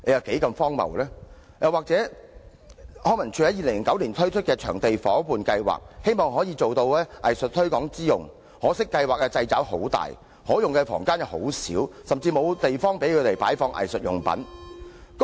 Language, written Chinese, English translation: Cantonese, 康文署在2009年推行場地夥伴計劃，希望可收藝術推廣之效，可惜計劃掣肘甚大，可用房間又很少，甚至沒有地方作擺放藝術用品之用。, LCSD implemented the Venue Partnership Scheme in 2009 for the promotion of local arts but there are regrettably a lot of restrictions in the Scheme itself while the number of venues available is very limited and there is even no place for storing arts supplies